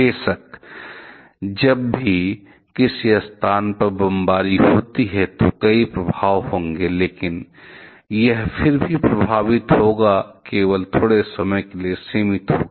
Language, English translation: Hindi, Of course, whenever there is a bombing in some location, there will be several effects but that affect again will be limited only to a short instant of time